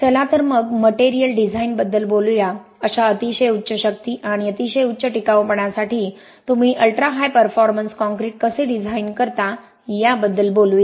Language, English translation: Marathi, So let us talk about material design, letÕs talk about how do you design ultra high performance concrete for such very high strengths and very high durability